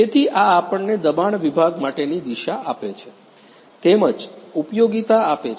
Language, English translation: Gujarati, So, this gives us the force section to direction as well as utilization